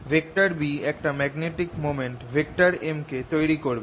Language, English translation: Bengali, this b will give rise to a magnetic moment